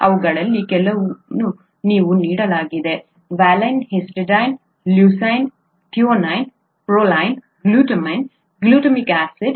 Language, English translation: Kannada, Some of these are given here, valine, histidine, leucine, threonine, proline, glutamine, glutamic acid glutamic acid, okay